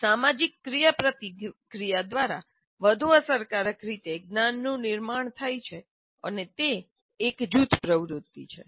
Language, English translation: Gujarati, One constructs knowledge more effectively through social interactions and that is a group activity